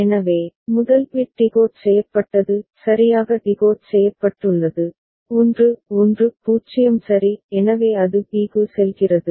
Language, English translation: Tamil, So, first bit decoded is properly decoded, out of 1 1 0 ok; so it goes to b